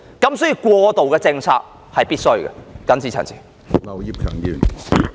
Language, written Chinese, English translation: Cantonese, 因此，過渡政策是必須的。, So an interim policy is necessary